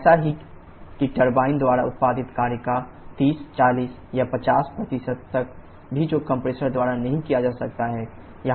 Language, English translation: Hindi, So, such that even as much as 30, 40 or 50% of the work produced by the turbine which cannot be done by the compressor